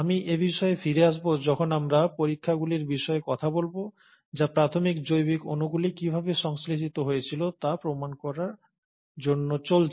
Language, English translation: Bengali, And I’ll come back to this when we talk about experiments which actually go on to prove how the initial biological molecules actually got synthesized